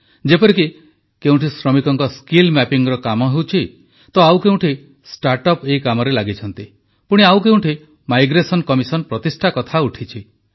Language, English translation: Odia, For example, at places skill mapping of labourers is being carried out; at other places start ups are engaged in doing the same…the establishment of a migration commission is being deliberated upon